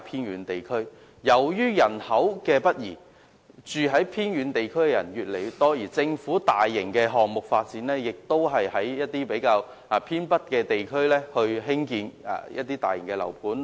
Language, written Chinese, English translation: Cantonese, 由於人口北移，居住在偏遠地區的人越來越多，政府的大型發展項目均集中在偏北地區，並在這些地區興建大型樓盤。, The continual population increase in these remote districts due to northward migration of population has led the Government to centralize its large development projects and also large residential developments in these northern districts